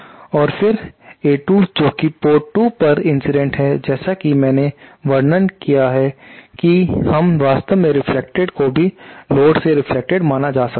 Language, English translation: Hindi, And then A 2 this incident at port 2 they way that is incident at port 2 as I describe while we are is actually the reflect can also be considered to be reflected from the load